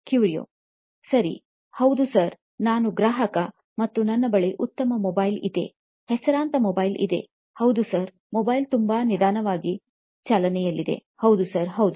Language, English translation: Kannada, okay, yes sir, I am a customer and I have a good mobile, a reputed mobile and yes sir, the mobile is running very slow, yes sir, yes